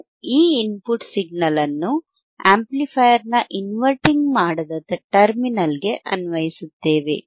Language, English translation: Kannada, We apply this input signal to the non inverting terminal of the amplifier